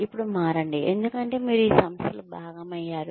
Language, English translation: Telugu, Now change, because you become a part of this organization